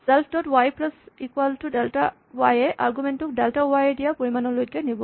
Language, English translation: Assamese, Similarly, self dot y plus equal to delta y will shift the argument by the amount provided by delta y